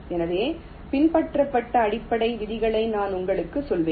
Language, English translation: Tamil, so i shall be telling you the basic rules that were followed